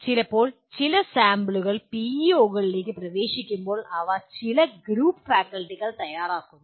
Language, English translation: Malayalam, Now getting into some sample PEOs, these are prepared by some group of faculty